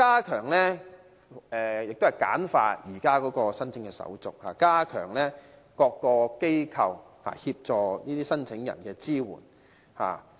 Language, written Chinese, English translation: Cantonese, 此外，亦要簡化現時的手續，加強各個機構協助申請人的支援。, Moreover the current application procedures need to be streamlined and the support to applicants from various institutions need to be enhanced